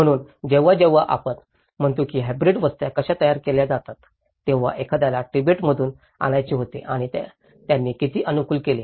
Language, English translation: Marathi, So, when we say how hybrid settlements are produced, one is wanted to bring from Tibet and how much did they adapt